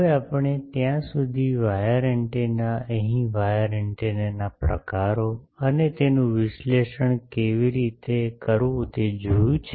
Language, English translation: Gujarati, Now we have seen up till now wire antennas, here types of wire antennas and how to analyze them